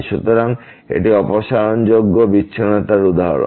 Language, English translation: Bengali, So, this is the example of the removable discontinuity